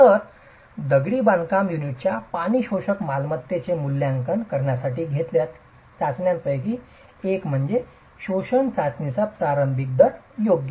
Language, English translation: Marathi, So, one of the tests that are carried out to evaluate the water absorption property of a masonry unit is called the initial rate of absorption test, right